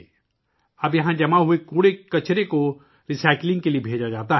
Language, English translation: Urdu, Now the garbage collected here is sent for recycling